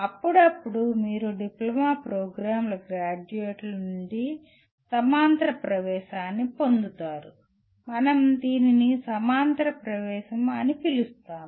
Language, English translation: Telugu, Occasionally you get a parallel entry from the graduates of diploma programs, we call it parallel entry